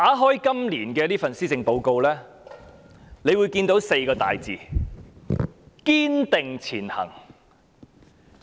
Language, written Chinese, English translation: Cantonese, 打開今年的施政報告，可以看到"堅定前行"這4個字。, When one opens this years Policy Address one can see the phrase Striving Ahead